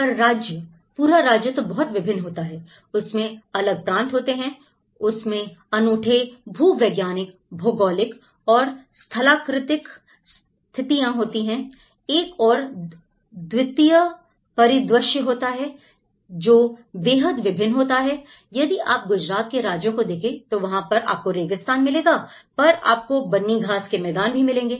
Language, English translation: Hindi, But the state; whole state is very diverse, it has its own regions, it has his own unique geological and geographical and topographical conditions, it has unique landscape; is a very diverse landscape, if you take Gujarat state, you have the desert part of it; you have the Banni grasslands part of it